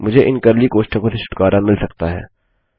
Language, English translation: Hindi, I can get rid of these curly brackets